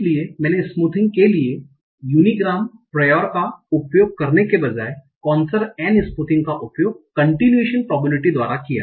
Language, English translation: Hindi, So instead of using the unigram prior for smoothing, I use this Kinesernery smoothing by using the continuation probability